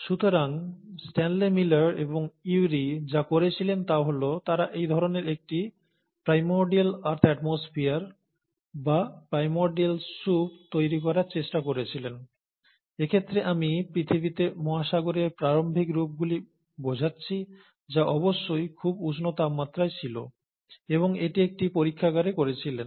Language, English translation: Bengali, So what did Stanley Miller and Urey did is that they tried to create this kind of a primordial earth atmosphere, or the primordial soup, in this case I mean the early forms of oceans on earth which must have been at a very high boiling temperatures, and created that in a laboratory setup